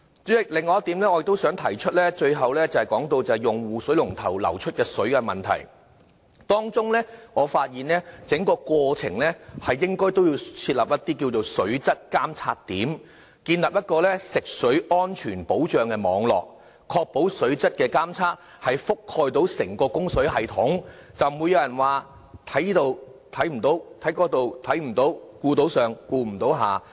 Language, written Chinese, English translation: Cantonese, 代理主席，最後，我想提出另外一點是用戶水龍頭流出的水的問題，當中我發現整個過程應該設立水質監察點，建立食水安全保障網路，確保水質監測覆蓋整個供水系統，這樣才不被人批評說在這裏看不到，在那裏看不到，顧到上顧不了下。, Deputy President finally I want to talk about the quality of our tap water . To enable the water quality monitoring to cover the entire water supply system I think we should establish a fresh water quality assurance network with monitoring points throughout the water supply process . By taking care of each and every part of the system the Government will no longer be criticized for the monitoring negligence